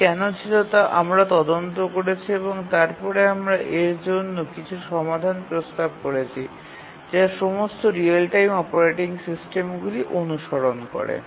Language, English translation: Bengali, We investigated why it was so and then we explained or offered some solutions for that which all real time operating systems, they do follow those